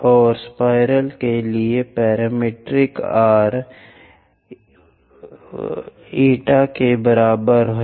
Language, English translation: Hindi, And the parametric form for spiral is r is equal to a theta